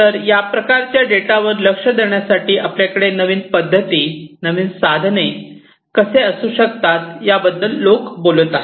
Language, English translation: Marathi, So, people are talking about how you can have newer methodologies, newer tools in order to address this kind of data